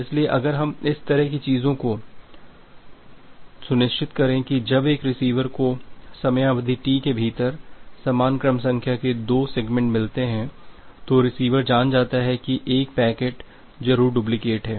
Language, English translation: Hindi, So, if we ensure this kind of things now when a receiver receives two segments having the same sequence number within a time duration T, the receiver knows that one packet must be the duplicate